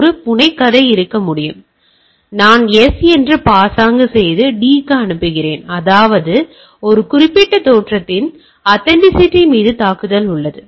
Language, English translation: Tamil, So, I is sending to D pretending to be S; that means, there is a attack on authenticity of that particular origin